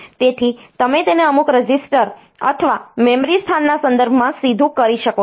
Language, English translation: Gujarati, So, you can do it directly with respect to some register or memory location